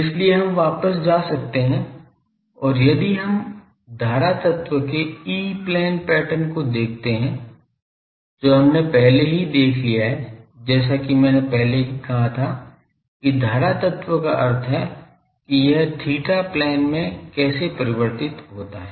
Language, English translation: Hindi, So, we can go back and , if we look at the e plane pattern of the current element that we have already seen , as I already said the current element means that in the theta plane how it is varying